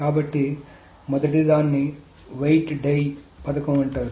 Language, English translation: Telugu, So the first one is called a weight die scheme